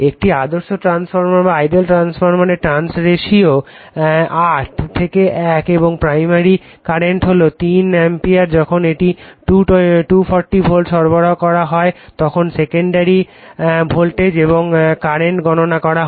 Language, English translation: Bengali, An ideal transformer it is turns ratio of 8 is to 1 and the primary current is 3 ampere it is given when it is supplied at 240 volt calculate the secondary voltage and the current right